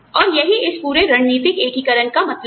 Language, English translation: Hindi, And, that is what, this whole strategic integration means